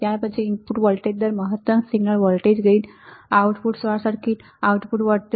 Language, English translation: Gujarati, Then there is input resistance followed by input voltage range, large signal voltage gain, output short circuit current, output voltage swing see